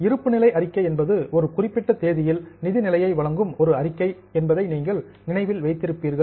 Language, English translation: Tamil, If you remember balance sheet is a statement which gives the financial position as on a particular date